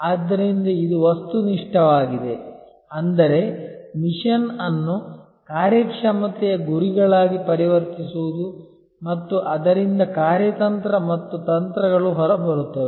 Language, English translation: Kannada, So, this is objective, that is how to convert the mission into performance targets and then out of that comes strategy and tactics